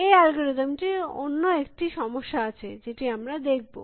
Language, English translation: Bengali, There is one more problem with this algorithm or this algorithm, which we will